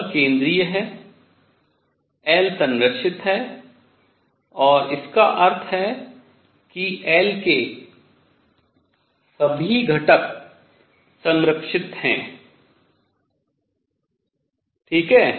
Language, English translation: Hindi, The force is central L is conserved and this means all components of L are conserved alright